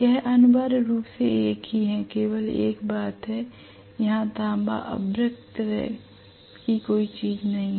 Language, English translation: Hindi, It is essentially the same, only thing is there are no copper mica, copper mica kind of thing